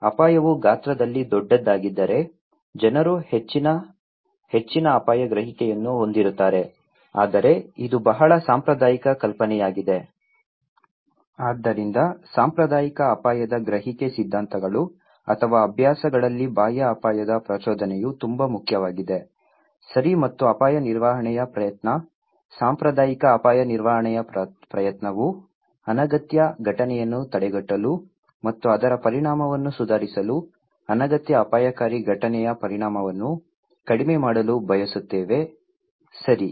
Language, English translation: Kannada, If the hazard is bigger in size in magnitude, then people have greater, higher risk perception but itís a very conventional idea now, so external risk stimulus is so important in conventional risk perception theories or practices, okay and risk management effort; conventional risk management effort is therefore to prevent the unwanted event and to ameliorate its consequence, to reduce the consequence of an unwanted hazardous event, okay